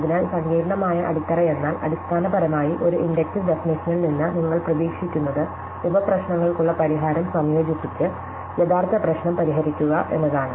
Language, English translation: Malayalam, So, what this complicated phrase means basically is what you expect from an inductive definition that is you solve the original problem by combining solution to sub problems